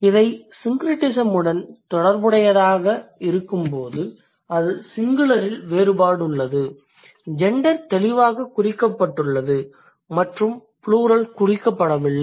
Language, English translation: Tamil, So, when it is related to syncretism, that means there is a difference in singular the gender is marked clearly and in plural it doesn't